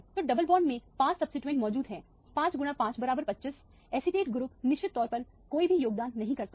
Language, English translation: Hindi, So, five substituents are present in the double bond 5 times 5 is 26, acetate group of course does not contribute anything